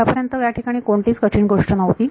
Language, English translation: Marathi, So far there has not been any difficulty